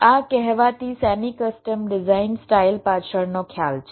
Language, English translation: Gujarati, this is the concept behind this so called semi custom design style